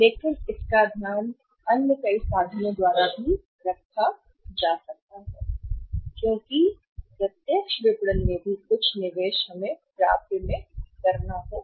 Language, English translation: Hindi, But that can be taken care of by many other means because in the direct marketing also some investment we have to make in the receivables